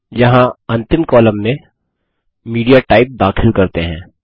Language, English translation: Hindi, Here let us introduce MediaType as the last column